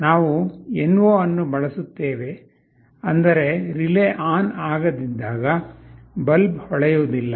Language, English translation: Kannada, We will be using NO, means when the relay is not switched ON the bulb will not glow